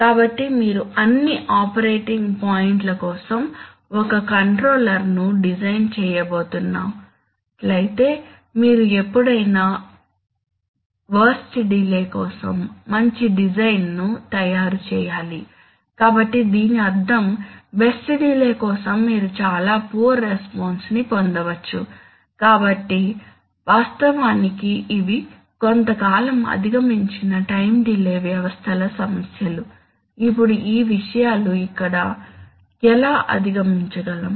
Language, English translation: Telugu, So if you are going to design a single controller for all operating points then further you have to always take, make a design which is, which will hold good for the worst delay, so which means that, for the, for the best case delay you are going to get, you may get very poor response, so actually, these are the problems of time delay systems which is somewhat overcome, now how are these thing over come here